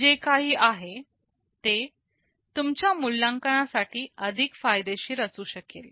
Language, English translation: Marathi, That is something that would be most beneficial in your assessment